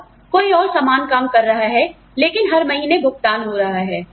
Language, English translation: Hindi, And, somebody else is putting the same amount of work, but is getting paid every month